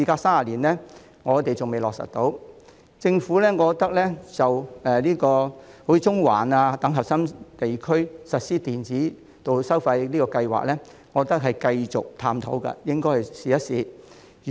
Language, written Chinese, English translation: Cantonese, 數年前，政府在中環等核心區實施電子道路收費先導計劃，我認為應該繼續探討並試行。, A few years ago the Government launched an electronic road pricing pilot programme in core areas such as Central . I think the programme should continue for exploration and trial